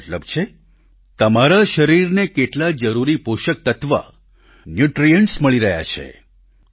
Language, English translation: Gujarati, This means whether you are getting essential nutrients